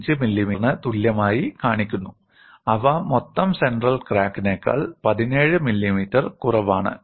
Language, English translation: Malayalam, 5 millimeter; they total to 17 millimeter less than the central crack